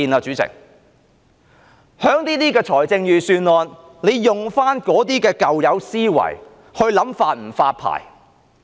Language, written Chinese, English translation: Cantonese, 主席，在預算案中，政府仍沿用舊有思維來考慮是否發牌。, Chairman in the context of the Budget the Government still uses the old mentality in licensing